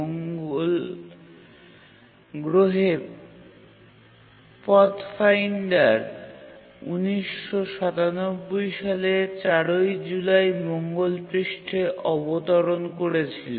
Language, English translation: Bengali, Mars Pathfinder landed on the Mars surface on 4th July 1997